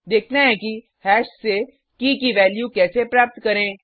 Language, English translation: Hindi, Let us see how to get the value of a key from hash